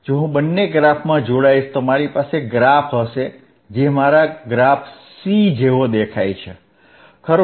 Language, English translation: Gujarati, If I join both plots, I will have plot which looks like this, right, which is my plot C, right